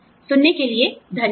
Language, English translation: Hindi, Thank you for listening